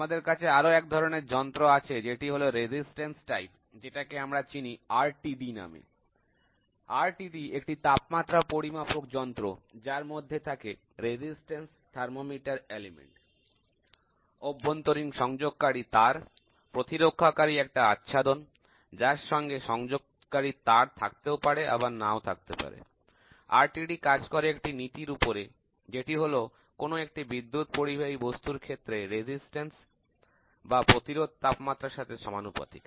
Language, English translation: Bengali, We also have resistance type detector which is otherwise called as RTD, RTD is a temperature measuring device composed of resistance thermometer element, internal connecting wire, a protective shell with or without means for mounting a connecting head, or connecting wire or other fittings, on both